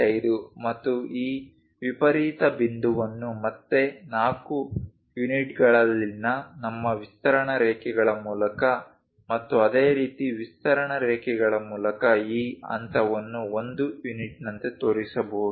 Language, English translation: Kannada, 5 and this extreme point again through our extension lines at 4 units and similarly extension lines using that this point this point one can really show it something like 1 unit